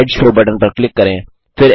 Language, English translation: Hindi, Click on the Slide Show button